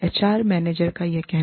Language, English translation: Hindi, HR manager says this